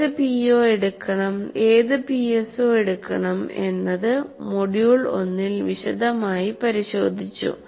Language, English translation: Malayalam, This issue of which PO, which PSO need to be addressed by that CO, we all explored this in detail in the module 1